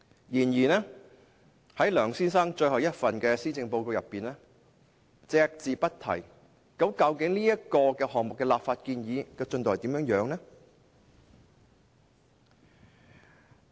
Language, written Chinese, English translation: Cantonese, 然而，梁先生任內的最後一份施政報告卻對此隻字不提，究竟這項立法建議的進度如何？, However in this last Policy Address in his term of office Mr LEUNG does not mention a word about it . What is the progress of this legislative proposal?